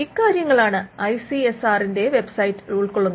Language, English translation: Malayalam, Now, this is what the ICSR website covers